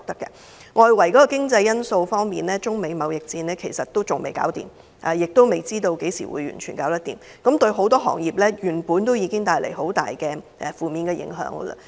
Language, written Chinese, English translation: Cantonese, 外圍經濟方面，中美貿易戰仍未停止，亦未知何時才能完全結束，對很多行業造成重大負面影響。, Externally multiple industries are hard hit by the persistent Sino - American trade war that no one knows when it will end